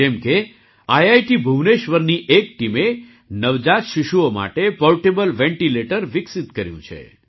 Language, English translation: Gujarati, For example, a team from IIT Bhubaneswar has developed a portable ventilator for new born babies